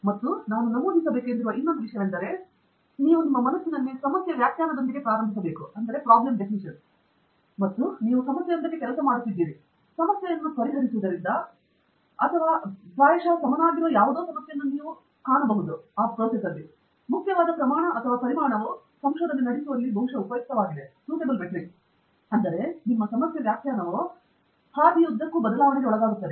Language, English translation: Kannada, And the other thing that I want to mention is in research you may start out with the problem definition in mind and as you are working towards a problem, solving the problem, you may find some other problem which requires or probably or which is of equally important proportion or magnitude, that is probably worthwhile carrying out research in itself, which means that your problem definition is subject to change along the pathway